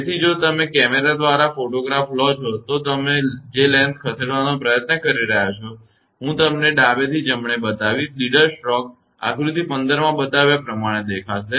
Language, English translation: Gujarati, So, if you photograph by camera; if you try to take the lens of which is moving, I will show you from left to right, the leaders stroke would appear as shown in figure 15